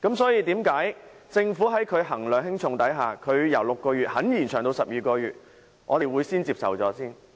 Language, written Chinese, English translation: Cantonese, 所以，既然政府衡量輕重後願意把檢控期由6個月延長至12個月，我們應該暫且接受相關修訂。, Since the Government is willing to extend the time limit for prosecution from 6 months to 12 months after considering the pros and cons we should accept the relevant amendment for the time being